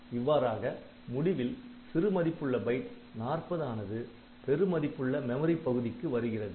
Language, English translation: Tamil, So, that way the lowest order byte has gone to the highest order memory location